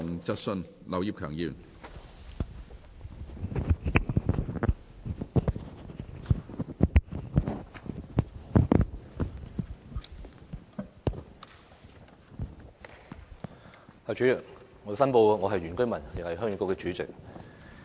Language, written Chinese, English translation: Cantonese, 主席，我申報我是原居民，也是鄉議局主席。, President I declare in the first place that I am an indigenous villager and also the Chairman of Heung Yee Kuk